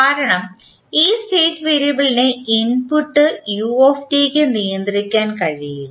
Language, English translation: Malayalam, Because this state variable is not controllable by the input u t